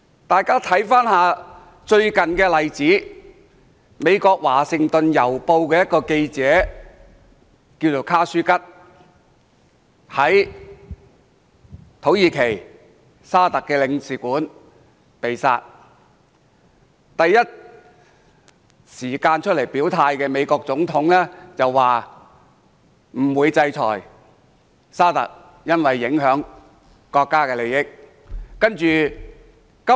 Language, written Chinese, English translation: Cantonese, 大家看看最近一個例子，美國《華盛頓郵報》一名記者，名叫卡舒吉，他在駐土耳其的沙特阿拉伯領事館內被殺，第一時間出來表態的美國總統，但他說不會制裁沙特阿拉伯，因為會影響國家利益。, Let us look at a recent example . KHASHOGGI a journalist who wrote for a United States newspaper The Washington Post was killed in the consulate of Saudi Arabia in Turkey . The President of the United States declared his position immediately and said that he would not sanction Saudi Arabia because that would jeopardize the nations interests